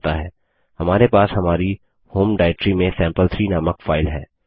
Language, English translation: Hindi, We have a file named sample3 in our home directory